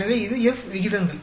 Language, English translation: Tamil, So, this is the F ratios